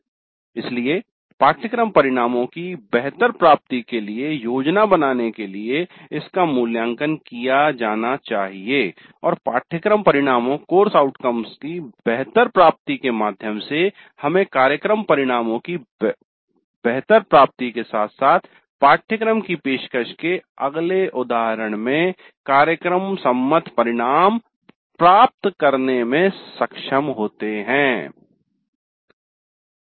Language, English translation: Hindi, So that should be evaluated to plan for better attainment of course outcomes and via the better attainment of course outcomes we should be able to get better attainment of program outcomes as well as program specific outcomes in the next instance of course offering